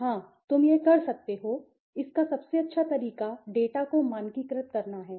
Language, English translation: Hindi, Yes, you can do it; the best way to do it is to standardize the data